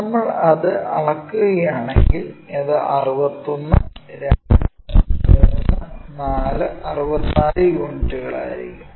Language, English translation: Malayalam, If we measure that, it will be 61, 2, 3, 4, 64 units